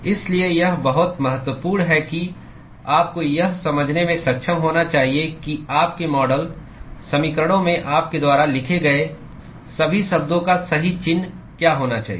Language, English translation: Hindi, So, this is very important you must be able to intuit what should be the correct sign of all the terms that you write in your model equations